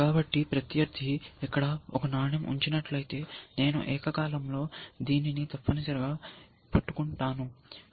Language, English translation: Telugu, So, if I, if the opponent were to put a coin here, then I then you would simultaneously capture this and this essentially